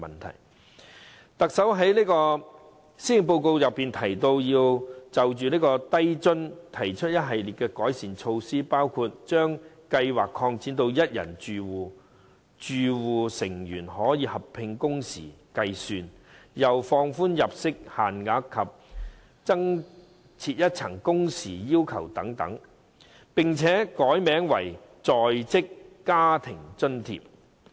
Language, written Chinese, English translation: Cantonese, 特首在施政報告就低津計劃提出一系列改善措施，包括將計劃擴展至一人住戶、容許住戶成員合併工時計算、放寬入息限額及增設一層工時要求等，並且改名為"在職家庭津貼"。, The Chief Executive has introduced a series of improvement measures for LIFA in the Policy Address . These include extending the Scheme to cover singletons allowing household members to combine working hours for assessment of the allowance relaxing the income cap and introducing a new tier of working hour requirement and so on . The Scheme will also be renamed as the Working Family Allowance Scheme